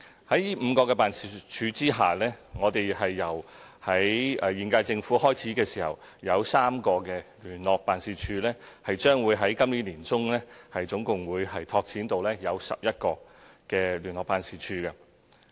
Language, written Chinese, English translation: Cantonese, 在這5個辦事處之下，我們在現屆政府開始時設有3個聯絡辦事處，將會在今年年中拓展至總共11個聯絡辦事處。, And with the establishment of the Wuhan ETO the number of such offices will increase to five . We will set up additional liaison units under these five offices by the middle of this year bringing the total number of liaison units to 11 compared with three when the current - term Government took office